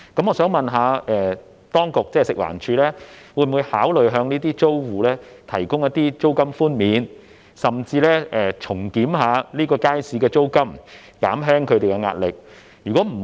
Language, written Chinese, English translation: Cantonese, 我想問，食環署會否考慮向租戶提供租金寬免，甚至重檢這個街市的租金，以減輕他們的壓力？, May I ask whether FEHD will consider granting rent waivers to the tenants or even reviewing the rental of the Market to alleviate their pressure?